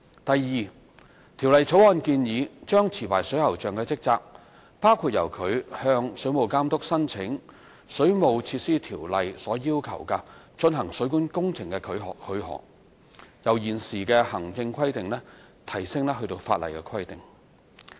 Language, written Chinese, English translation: Cantonese, 第二，《條例草案》建議將持牌水喉匠的職責，包括由他向水務監督申請《水務設施條例》要求的進行水管工程許可，由現時的行政規定提升至法例規定。, Secondly the Bill proposes to give legal status to the current administrative requirement stating the duties of licensed plumbers among which is the duty to apply for permissions under the Ordinance from the Water Authority for the carrying out of plumbing works